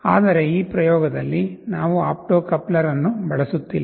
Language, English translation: Kannada, But in this experiment we are not using the opto coupler